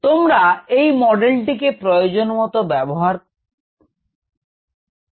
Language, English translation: Bengali, we will use this model as needed in this lecture